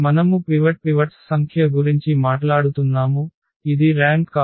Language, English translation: Telugu, So, we are talking about the number of pivots